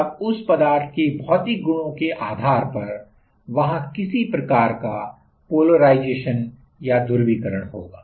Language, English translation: Hindi, Then depending on the material properties there will be some kind of polarization